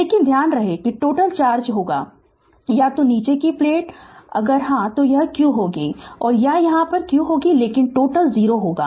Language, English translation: Hindi, But remember that total charge will be either, if the bottom plate, this will be plus q or here it will be minus q, but total will be 0